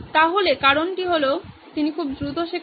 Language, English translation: Bengali, So this is the reason is, she is teaching very fast